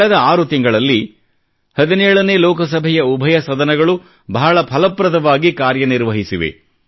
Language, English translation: Kannada, In the last 6 months, both the sessions of the 17th Lok Sabha have been very productive